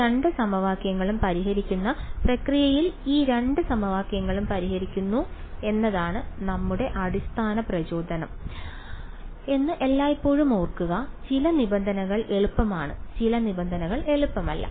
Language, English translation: Malayalam, Always keep in mind that our basic motivation is to solve these two equations in the process of solving these two equations some terms are easy some terms are not easy